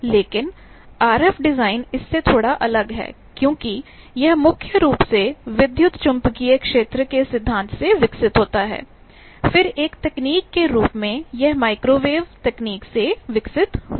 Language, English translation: Hindi, How to design a filter etcetera, but RF design is a bit different from that because it evolves from primarily from electromagnetic field theory, then as a technology it evolved from microwave technology